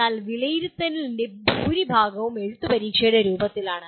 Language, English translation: Malayalam, But majority of the assessment is in the form of written examinations